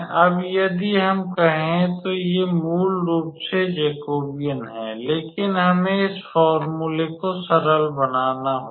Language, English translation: Hindi, So, if we let us say so these are basically the Jacobians, but we have to simplify this formula